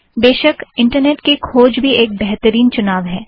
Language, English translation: Hindi, Of course, a web search is an excellent option too